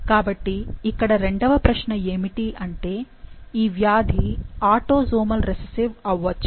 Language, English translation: Telugu, So, the second question is ‘could this disease be autosomal recessive’